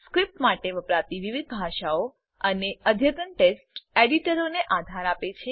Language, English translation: Gujarati, Supports various scripting languages and advanced text editors